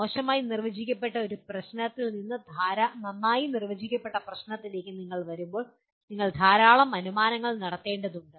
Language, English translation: Malayalam, When you are coming from a ill defined problem to well defined problem you have to make a large number of assumptions